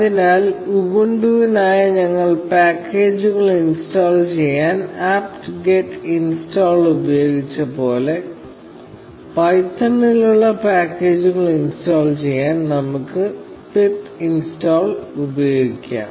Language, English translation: Malayalam, So, just like we used apt get install to install packages for Ubuntu, we can use pip install to install packages for python